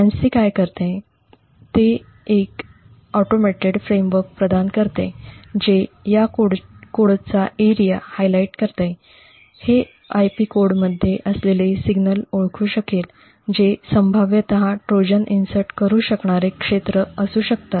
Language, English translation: Marathi, What FANCI does is that it provides an automated framework which could highlight regions of this code, it could identify signals present within an IP code which could potentially be areas where a Trojan may be inserted